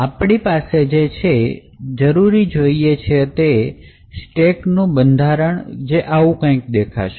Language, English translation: Gujarati, So, what we need essentially is the stack layout which looks something like this